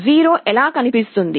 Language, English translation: Telugu, 0 will look like this